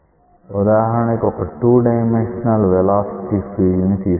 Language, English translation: Telugu, So, an example we will consider a 2 dimensional velocity field as an example